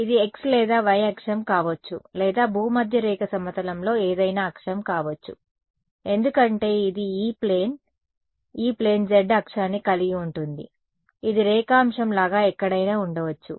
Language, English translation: Telugu, This could be x or y axis or any axis in the equatorial plane because so, this is the E plane right E plane contains the z axis it is like a longitude it can be anywhere